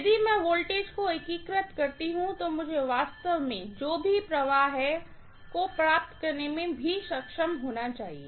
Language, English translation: Hindi, If I integrate the voltage, I should be able to get actually whatever is my flux